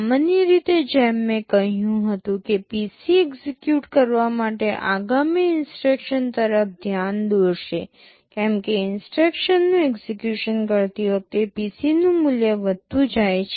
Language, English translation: Gujarati, Normally as I said PC will be pointing to the next instruction to be executed, as the instructions are executing the value of the PC gets incremented